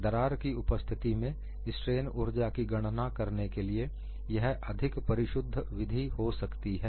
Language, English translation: Hindi, This is just to illustrate a simple calculation methodology to find out strain energy in the presence of a crack